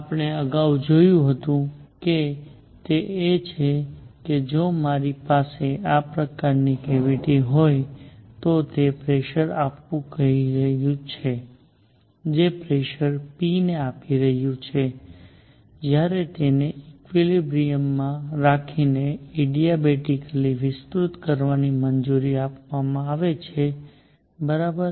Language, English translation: Gujarati, What we have seen earlier is that if I have a cavity like this, right, it is applying a pressure which is applying pressure p, when it is allowed to expand adiabatically keeping it in equilibrium, right